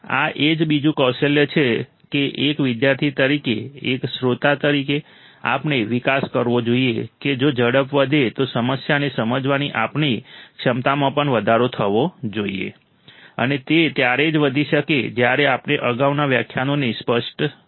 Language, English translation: Gujarati, This is another skill that as a student, as a listener, we should develop that if the speed is increased our capability of understanding the problem should also increase and that can increase only when we are clear with the earlier lectures